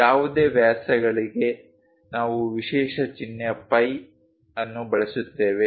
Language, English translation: Kannada, For any diameters we use special symbol phi